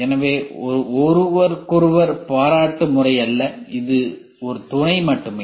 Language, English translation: Tamil, So, it is not a complimentary to each other it is only a supplementary